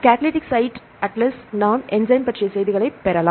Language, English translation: Tamil, Catalytic site atlas, we can get the information regarding enzymes